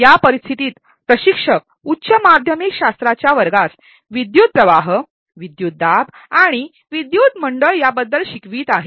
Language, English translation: Marathi, In this scenario, an instructor is teaching to a high school physics class about current, voltage and circuits